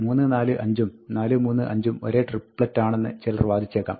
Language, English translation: Malayalam, Now, one might argue that, 3, 4, 5, and 4, 3, 5, are the same triplets